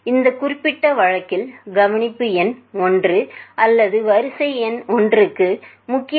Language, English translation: Tamil, So, in this particular case, let us say for the observation number 1 or serial number 1, the main value is 424